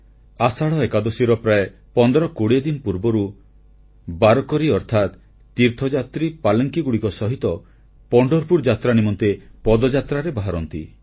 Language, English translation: Odia, About 1520 days before Ashadhi Ekadashi warkari or pilgrims start the Pandharpur Yatra on foot